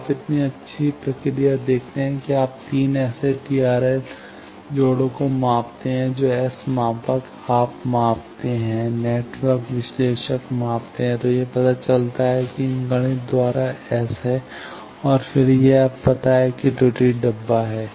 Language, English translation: Hindi, So, you see such a nice procedure that you measure by 3 such TRL connections the S parameter you measure, networks analysis measure then it finds out that S by these mathematics and then it now know error box is